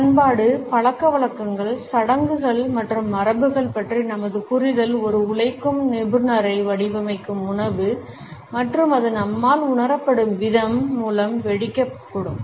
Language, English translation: Tamil, Since our understanding of culture, habits, rituals and traditions which mould a working professional can be explode through food and the way it is perceived by us